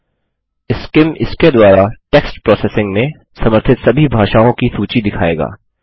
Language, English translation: Hindi, SCIM will show a list with all the languages it supports text processing in